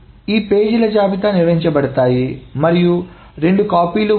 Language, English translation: Telugu, So these pages, the list of these pages are maintained and then there are two copies